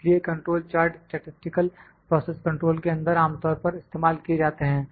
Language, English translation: Hindi, So, control charts are one of the most commonly used tools in statistical process control